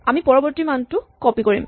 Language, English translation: Assamese, We copy the next value